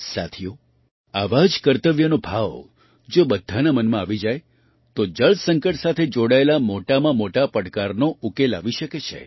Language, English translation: Gujarati, Friends, if the same sense of duty comes in everyone's mind, the biggest of challenges related to water crisis can be solved